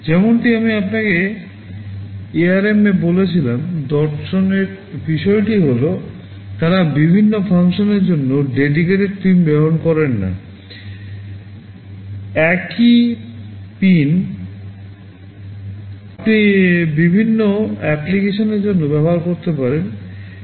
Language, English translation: Bengali, As I told you in ARM the philosophy is that they do not use dedicated pins for different functions, same pin you can use for different applications